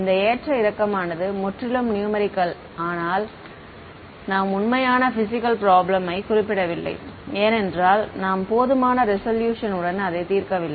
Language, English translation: Tamil, So, this fluctuation is purely numerical; why because you are not actually solving a real physics problem because you are not representing the fields with sufficient resolution